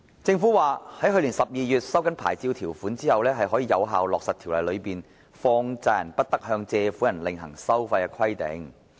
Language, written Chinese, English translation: Cantonese, 政府表示，在去年12月收緊牌照條款後，可以有效落實條例中放債人不得向借款人另行收費的規定。, The Government indicated that since the licensing conditions were tightened in December last year the requirement in the Ordinance prohibiting money lenders from imposing any separate fees on borrowers could be implemented effectively